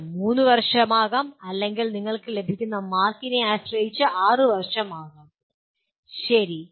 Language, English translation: Malayalam, It could be 3 years or it could be 6 years depending on the number of marks that you get, okay